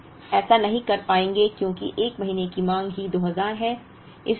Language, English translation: Hindi, Now, you would not be able to do that, because the 1st month’s demand itself is 2000